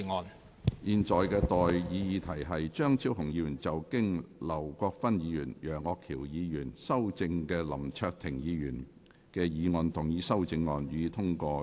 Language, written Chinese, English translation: Cantonese, 我現在向各位提出的待議議題是：張超雄議員就經劉國勳議員及楊岳橋議員修正的林卓廷議員議案動議的修正案，予以通過。, I now propose the question to you and that is That the amendment moved by Dr Fernando CHEUNG to Mr LAM Cheuk - tings motion as amended by Mr LAU Kwok - fan and Mr Alvin YEUNG be passed